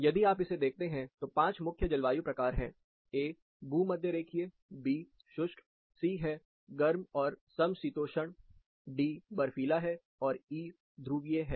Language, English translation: Hindi, If you look at this, there are 5 main climate types, a, represents equatorial, b, represents arid, c, is warm and temperate, d, is snow and e, is polar